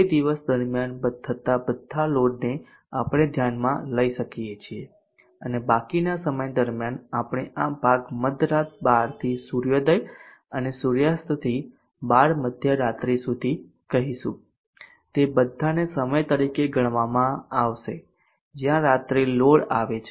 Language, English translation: Gujarati, we can consider as day load all the loads occurring during that time and during the remaining time, we will say this portion from 12:00 midnight to sunrise and from sunset on to 12:00 midnight they all will be considered as times, where night load occurs